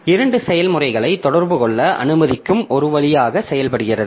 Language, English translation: Tamil, So, this acts as a conduit allowing two processes to communicate